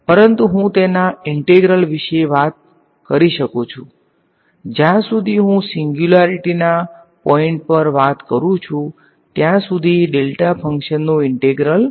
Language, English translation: Gujarati, So, but I can talk about it’s integral, the integral of delta function as long as I cover this point of singularity is 1 right